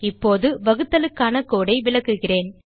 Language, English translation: Tamil, Now, I will explain the code for division